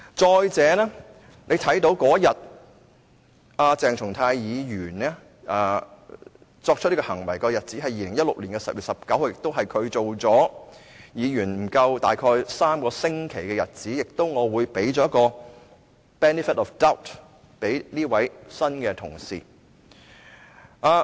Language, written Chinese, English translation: Cantonese, 再者，鄭松泰議員做出這種行為的日子是2016年10月19日，是他成為議員不足3星期的日子，因此我會給這位新同事 benefit of doubt。, Moreover this act was done by Dr CHENG Chung - tai on 19 October 2016 when he had become a Council Member for not more than three weeks . For this reason I will give this new colleague benefit of doubt